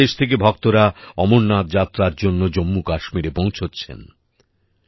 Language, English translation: Bengali, Devotees from all over the country reach Jammu Kashmir for the Amarnath Yatra